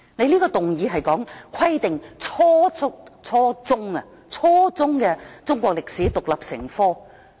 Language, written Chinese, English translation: Cantonese, 這項議案是關於"規定初中中國歷史獨立成科"。, This motion is on Requiring the teaching of Chinese history as an independent subject at junior secondary level